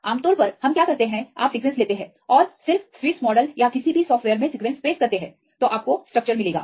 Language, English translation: Hindi, Usually what we do you take the sequence and just paste the sequence in Swiss model or any software you will get the structure